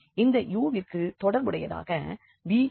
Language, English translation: Tamil, So, again we can break into u and v